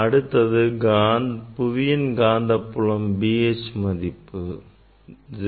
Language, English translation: Tamil, B H is the earth magnetic field